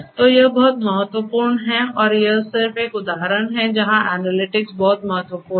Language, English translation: Hindi, So, this is very important and this is just an example where analytics is very important